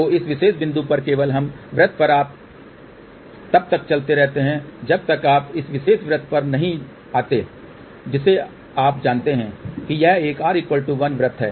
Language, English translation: Hindi, So, at this particular point just on this circle itself you keep moving moving moving till you come to this particular circle which you know it is a r equal to 1 circle